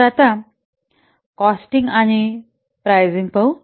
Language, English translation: Marathi, So now let's see this costing and pricing